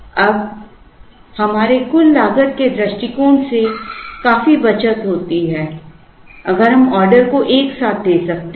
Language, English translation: Hindi, Now, from our total cost point of view there is a considerable saving, if we can combine orders together